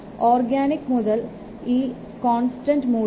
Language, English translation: Malayalam, And for organic mode, the constant is 0